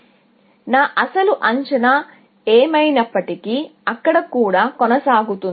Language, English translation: Telugu, So, whatever was my original estimate, will continue there, essentially